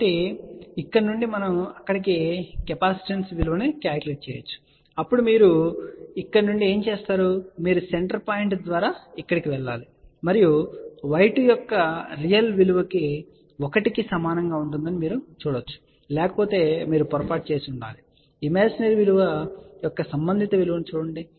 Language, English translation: Telugu, So, from here we can calculate their capacitance value, then from here what you do, you go through the center point go over here and you can see that real value of the y 2 will be equal to 1, it has to be if otherwise you have made a mistake and read the corresponding value of the imaginary value